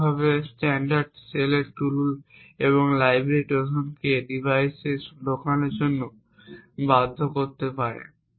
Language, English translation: Bengali, Similarly, tools and libraries like standard cells may force Trojans to be inserted into the device